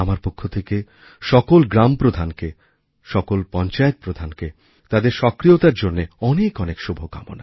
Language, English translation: Bengali, For my part I wish good luck to all the village heads and all the sarpanchs for their dynamism